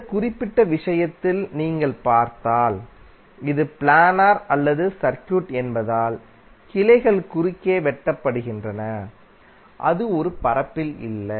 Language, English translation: Tamil, While in this particular case if you see this is non planar circuit because the branches are cutting across and it is not in a plane